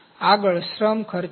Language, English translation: Gujarati, Next is labour costs